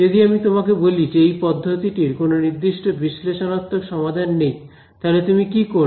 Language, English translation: Bengali, If you are if I tell you that a method does not have a closed form solution, there is no analytical solution for it, then what will you do